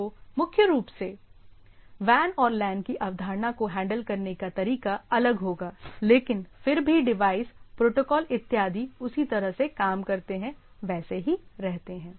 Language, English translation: Hindi, So, there is a concept of WAN and LAN primarily that way of handling will be different, but nevertheless the devices, etcetera or the way the protocols works remains same